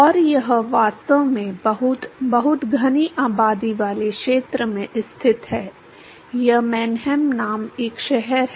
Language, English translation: Hindi, And it is actually located in very, very densely populated area it is a city called Mannheim